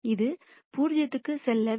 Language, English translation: Tamil, So, this is going to be 0